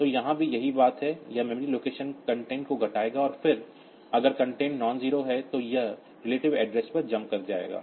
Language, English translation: Hindi, So, here also the same thing, it will decrement the memory location content and then if the content is nonzero, then it will be jumping to the relative address